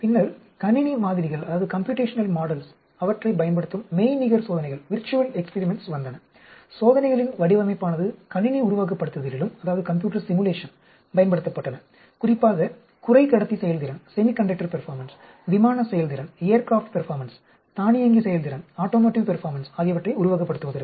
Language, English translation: Tamil, Then, came virtual experiments using computational models design of experiment were also used in computer simulation, especially for simulating semiconductor performance, aircraft performance, automotive performance